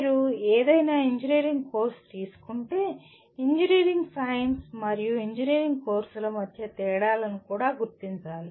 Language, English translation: Telugu, If you take any engineering course, one must differentiate also differences between engineering science and engineering courses